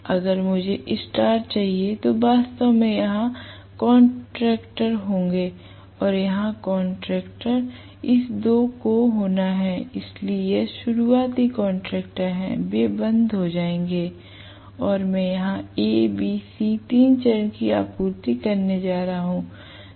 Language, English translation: Hindi, So, if I want star I have to actually have contactors here, and contactors here, this two have to be, so this are starting contactors, they will be closed and I am going to have A B C three phase supply applied here right